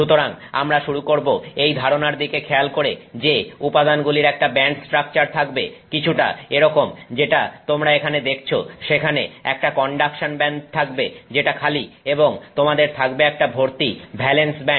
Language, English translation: Bengali, Okay, so we will begin by looking at this idea that a material may have a band structure that looks something like what you are seeing here, that there is a conduction band which is vacant and you have a full valence band